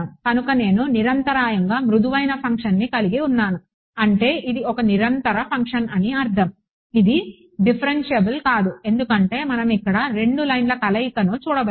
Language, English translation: Telugu, So, I have got a smooth function continuous I mean it's a continuous function its not differentiable because we can see its like 2 lines meeting here